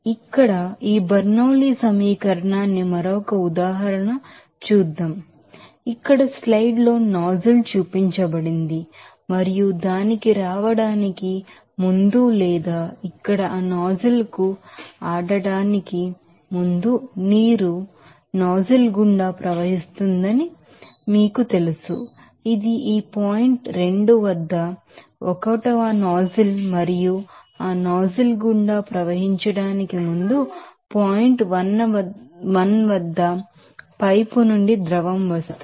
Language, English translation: Telugu, Let us do another example of this Bernoulli’s equation like here one you know that nozzle is shown in the slide here and water is flowing through a nozzle before coming to that or before playing to that nozzle here, this is 1 nozzle at this point 2 and before flowing through that nozzle, the fluid is coming from a pipe at point 1